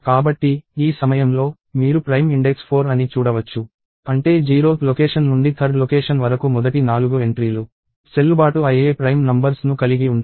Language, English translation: Telugu, So, at this point, you can see that, prime index is 4; which means the first four entries starting from 0 th location till third location have valid prime numbers